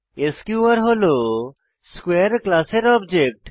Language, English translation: Bengali, Here, sqr is the object of class square